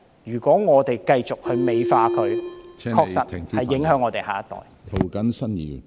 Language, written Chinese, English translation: Cantonese, 如果我們繼續......美化罪行，確實會影響我們的下一代。, If we continue to glorify crimes our next generation will indeed be affected